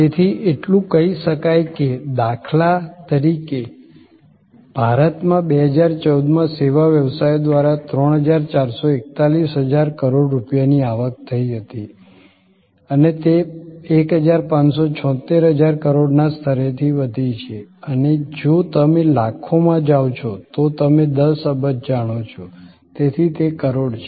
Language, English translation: Gujarati, So, so much to say that in India for example, 3441 thousand crores of rupees were the revenue generated by service businesses in 2014 and this has grown from the level of 1576 thousand crores and if you go in millions you know 10 billion, so it is a crore